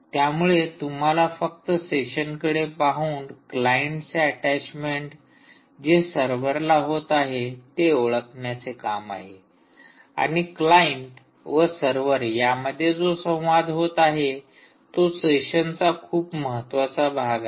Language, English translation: Marathi, so just had to look at session attaches and identify the attachment of a client, of a client, right to a server, and all communication between client and server takes place as part of the session